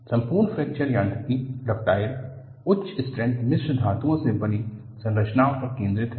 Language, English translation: Hindi, The whole of Fracture Mechanics focuses on structures made of ductile, high strength alloys